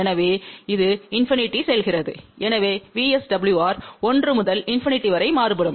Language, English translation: Tamil, So, that goes to infinity ; so that means, VSWR can vary from 1 to infinity